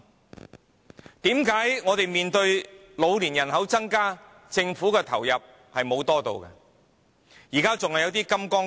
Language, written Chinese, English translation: Cantonese, 為甚麼我們面對老年人口增加，政府投入資源的比率卻沒有增加？, In the light of a growing elderly population why has the Government not increased the proportion of resources allocated?